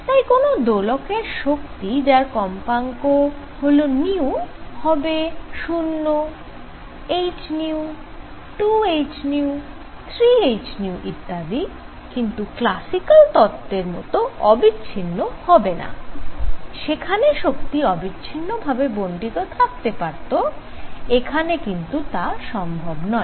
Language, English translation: Bengali, So, energy of an oscillator with frequency nu can be 0 h nu, 2 h nu, 3 h nu and so on, but cannot be continuous classically we had continuous distribution, but now it cannot be continuous